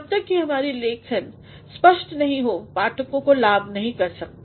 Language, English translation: Hindi, Unless and until our writing is clear it will not benefit the readers